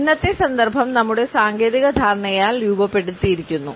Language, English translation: Malayalam, And today’s context is moulded by our technological understanding